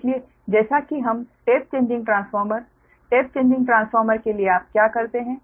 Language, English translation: Hindi, so as we the tap changing transform, tap changing transform what you do